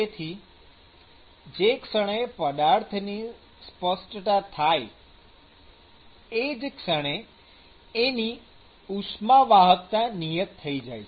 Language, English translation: Gujarati, So, the moment a material is specified then the thermal conductivity of that material has actually fixed